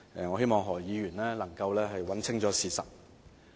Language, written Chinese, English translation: Cantonese, 我希望何議員能夠查清事實。, I hope that Dr HO can get his facts straight